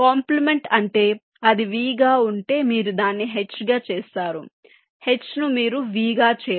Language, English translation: Telugu, complement means if it is a v, you make it h, if it h, you make it v